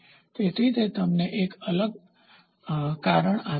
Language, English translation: Gujarati, So, it gives you a different reason